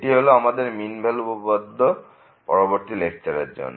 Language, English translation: Bengali, And, those are the mean value theorem the topic of the next lecture